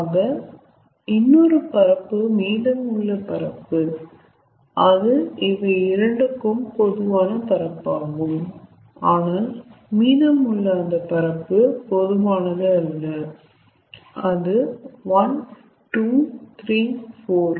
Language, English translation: Tamil, some area is common between these two, but the area which is left which is not common, that is one, two, three, four